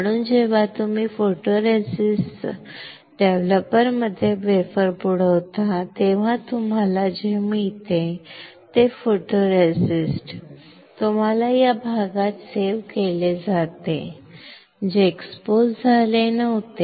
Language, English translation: Marathi, So, when you dip the wafer in photoresist developer what you get, you get photoresist saved in the area which were not exposed